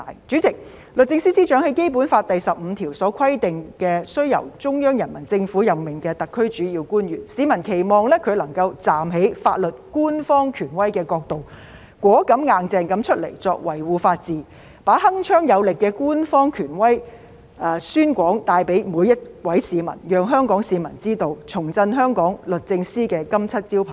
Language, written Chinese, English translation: Cantonese, 主席，律政司司長是《基本法》第十五條規定須由中央人民政府任命的特區主要官員，市民期望她能夠站在法律官方權威的角度，果敢、"硬淨"地出來維護法治，把鏗鏘有力的官方權威宣廣帶給每位市民，讓香港市民知道，重振香港律政司的金漆招牌。, President the Secretary for Justice is a principal official of the SAR appointed by the Central Peoples Government under Article 15 of the Basic Law . The public expect her to be courageous and tough in coming forth to defend the rule of law from the perspective of the official authority of the law and put across to each and every citizen the Governments authoritative position in a determined and forceful manner to ensure that the people of Hong Kong are well - informed in order to rebuild the renowned reputation of the Department of Justice of Hong Kong